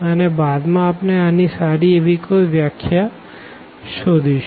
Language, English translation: Gujarati, And, later on we will come up with more or a better definition of this